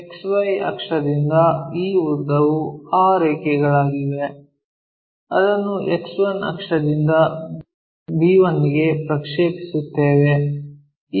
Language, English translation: Kannada, So, this length from XY axis to be that line we will project it from X 1 axis here to b 1